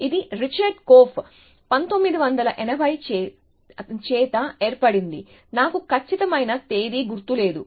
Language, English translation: Telugu, It was formed by Korf, Richard Korf 1980’s something, I do not remember exact date